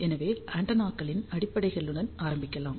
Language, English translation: Tamil, So, let us start with the fundamentals of the antennas